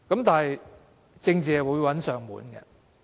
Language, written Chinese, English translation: Cantonese, 但是，政治會找上門來。, But politics will come to them